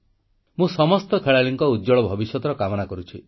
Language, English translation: Odia, I wish all the players a bright future